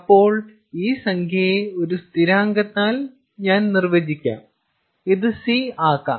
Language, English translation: Malayalam, so let me define this number by some constant